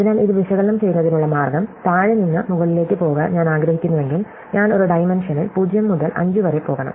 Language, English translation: Malayalam, So, the way to analyze this is to see, that if I want to go from the bottom to the top, then I must, on the, in one dimensional I must go from 0 to 5